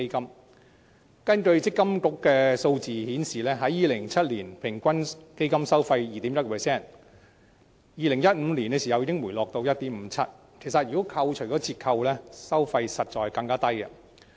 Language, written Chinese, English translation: Cantonese, 強制性公積金計劃管理局的數字顯示 ，2007 年的平均基金收費為 2.1%， 到2015年已回落至 1.57%， 而在扣除折扣後，收費其實更低。, The figures provided by the Mandatory Provident Fund Schemes Authority MPFA indicated that the average fund fee in 2007 was 2.1 % which dropped to 1.57 % in 2015 and even lower after deduction of discounts